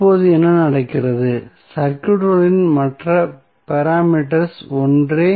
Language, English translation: Tamil, So, what happens now, the other parameters of the circuits are same